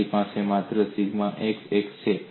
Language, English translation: Gujarati, You have only sigma x axis